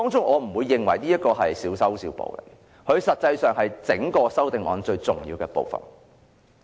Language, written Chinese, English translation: Cantonese, 我不認為這是小修小補，其實這是修正案最重要的部分。, I consider these not minor repairs but the most important aspect of the amendments